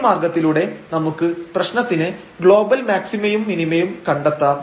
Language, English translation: Malayalam, So, in this way we can find the global maximum and minimum of the problem